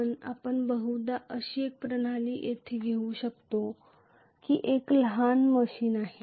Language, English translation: Marathi, But let us probably take a system where it is a miniaturized machine